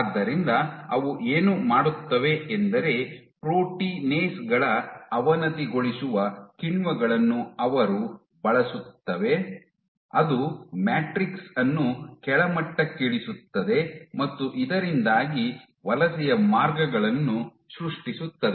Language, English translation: Kannada, So, what they do is they make use of degrading enzymes of proteinases which degrade the matrix thereby creating paths for migration